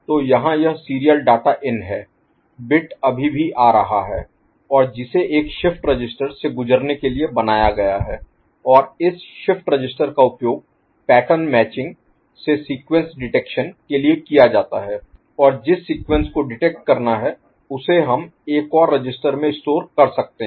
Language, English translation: Hindi, So, here this is the serial data in the bit still it is coming, and which is made to go through a shift register and this shift register is used for the pattern matching sequence detection, and the sequence to be detected we can store it in another register, right